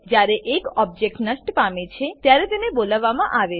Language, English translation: Gujarati, They are called when an object is destroyed